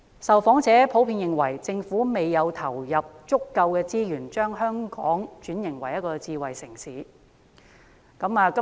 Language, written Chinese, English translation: Cantonese, 受訪者普遍認為政府未有投入足夠資源，將香港轉型為智慧城市。, Respondents in general think that the Government has not invested enough resources to transform Hong Kong into a smart city